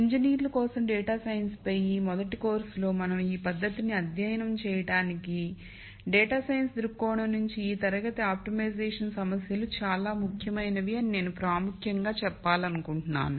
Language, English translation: Telugu, Though we will not study that technique in this first course on data science for engineers, I just wanted to point out that this class of optimization problems is very important from a data science viewpoint